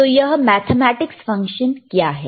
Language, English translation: Hindi, So, what is this mathematics function